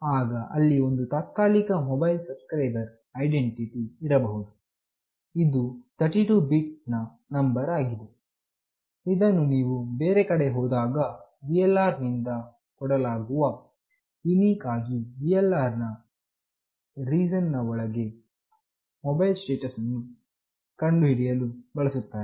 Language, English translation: Kannada, Then there could be a Temporary Mobile Subscriber Identity, which is a 32 bit number that is assigned when you move to some other location by VLR to uniquely identify a mobile station within a VLR’s region